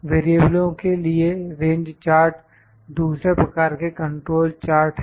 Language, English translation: Hindi, Range charts are another type of control charts for variables